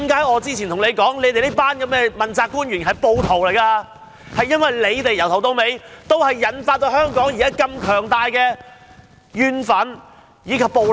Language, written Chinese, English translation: Cantonese, 我之前何以指這群問責官員是暴徒，正因為由始至終也是他們導致香港社會出現如此強烈的怨憤和暴力。, Some time ago I accused this group of accountability officials as rioters . Why? . For from the very beginning to date it is they who have led the Hong Kong community into this state of intense grievances anger and violence